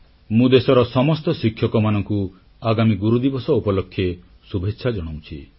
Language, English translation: Odia, I felicitate all the teachers in the country on this occasion